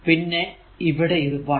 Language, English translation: Malayalam, So, and 1